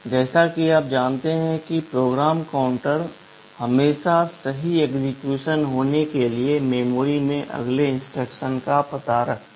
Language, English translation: Hindi, As you know PC always holds the address of the next instruction in memory to be executed right